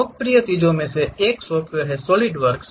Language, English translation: Hindi, One of the popular thing is Solidworks